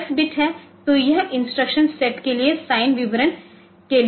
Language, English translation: Hindi, So, this is for sign details to instruction set